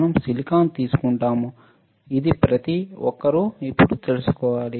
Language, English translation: Telugu, We will take a silicon, this everybody should know now